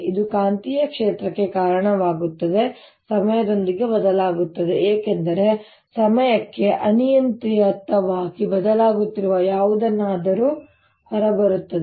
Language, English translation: Kannada, it gives rise to magnetic field which will also change with times, coming out of something which is changing arbitrarily in time